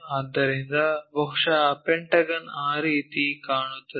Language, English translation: Kannada, So, perhaps our pentagon looks in that way